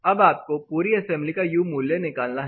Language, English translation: Hindi, Now, how do you compute the whole assembly U value